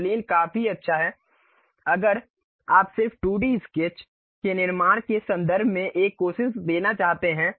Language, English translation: Hindi, One plane is good enough if you want to just give a try in terms of constructing 2D sketches